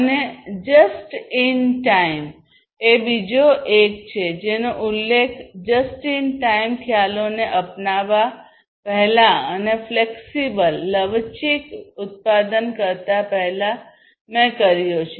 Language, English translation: Gujarati, And just in time is the another one that, I have already mentioned before adopting just in time concepts, and having flexible manufacturing